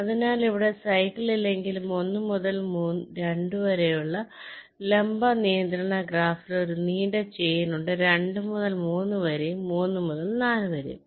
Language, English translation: Malayalam, so here though, there is no cycle, but there is a long chain in the vertical constraint graph: one to two, two to three and three to four